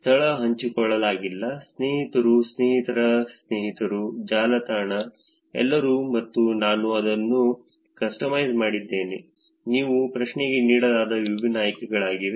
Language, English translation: Kannada, Location not shared, friends, friends of friends, network, everyone, and ‘I have customized it’, those are the different options that was given for the question